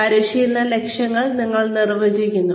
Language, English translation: Malayalam, You define, the training objectives